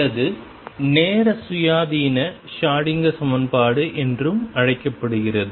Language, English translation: Tamil, Or what is also known as time independent Schrödinger equation